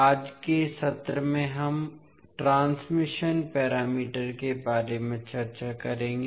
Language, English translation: Hindi, So in today’s session we will discuss about transmission parameters